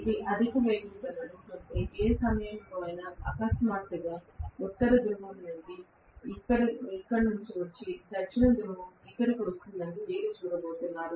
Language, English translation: Telugu, If it is running at a high speed, within no time, you are going to see that suddenly North Pole comes here and South Pole comes here